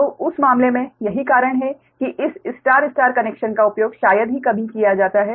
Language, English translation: Hindi, so in that case, thats why this star star connection is rarely used